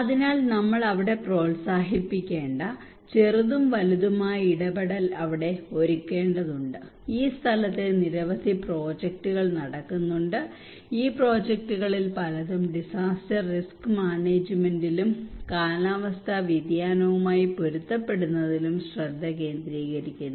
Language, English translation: Malayalam, So therefore we need to prepare them small and large intervention we need to promote there, there are so many projects are going on there in this place and many of this project are focusing on the disaster risk management and climate change adaptations